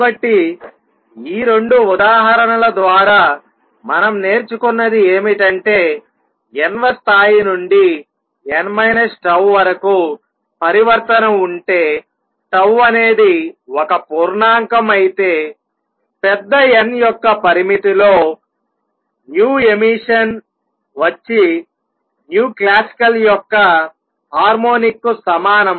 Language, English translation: Telugu, So, what we have learned through these 2 examples is that if there is a transition from nth level to n minus tau th tau is also an integer then in the limit of large n, right, the nu emission emitted is equal to a harmonic of nu classical